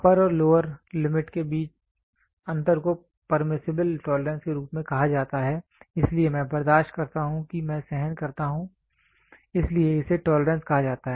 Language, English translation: Hindi, The difference between upper and lower limit is termed as permissible tolerance so I tolerate I tolerate, so that is why it is called as tolerance